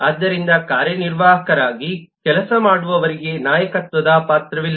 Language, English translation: Kannada, so those who work as executive do not have the role of leadership